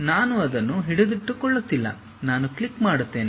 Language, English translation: Kannada, I am not pressing holding it, I just click